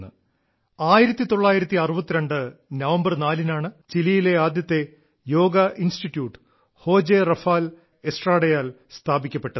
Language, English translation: Malayalam, On 4th of November 1962, the first Yoga institution in Chile was established by José Rafael Estrada